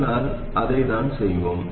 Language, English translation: Tamil, So that is what we will do